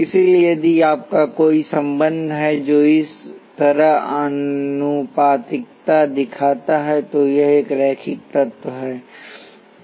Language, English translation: Hindi, So, if you have a relationship that shows proportionality like this it is a linear element